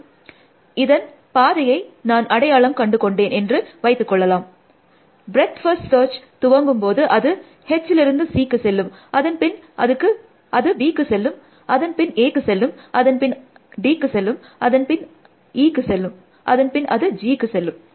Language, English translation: Tamil, And let it will say I found the path, but the path I could have found this one, what we breath first search do, it will go from H to C; then it will go to B; then it will go to A; then it will go to D; then it will go to E; then it will go to G